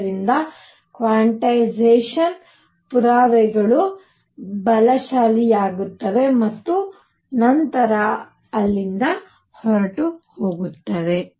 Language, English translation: Kannada, So, that the evidence for quantization becomes stronger and stronger and then will take off from there